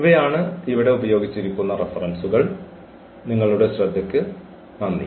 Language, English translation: Malayalam, So, these are the references used here and thank you for your attention